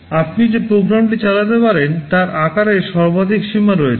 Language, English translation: Bengali, So, there is a maximum limit to the size of the program that you can run